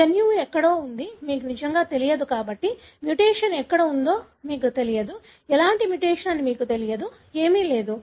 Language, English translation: Telugu, Because you really don’t know where the gene is, you don’t know where the mutation is, you don’t know what kind of mutation, nothing